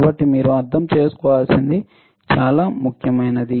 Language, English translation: Telugu, So, very important you had to understand